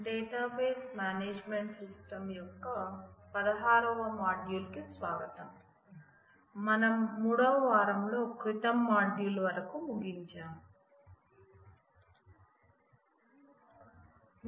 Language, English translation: Telugu, Welcome to Module 16 of Database Management Systems till the last module which closed with the third week